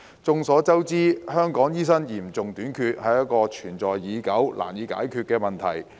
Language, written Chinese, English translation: Cantonese, 眾所周知，香港醫生嚴重短缺，是一個存在已久及難以解決的問題。, As we all know the acute shortage of doctors in Hong Kong is a long - standing problem which is difficult to resolve